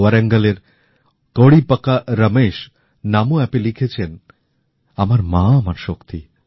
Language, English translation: Bengali, Kodipaka Ramesh from Warangal has written on Namo App"My mother is my strength